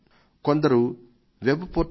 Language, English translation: Telugu, Some have written on my web portal mygov